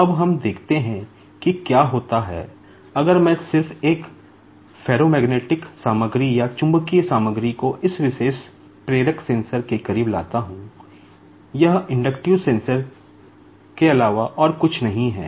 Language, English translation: Hindi, Now, what will happen is, so this is a ferromagnetic material